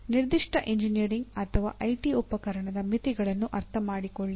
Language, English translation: Kannada, Understand the limitations of a given engineering or IT tool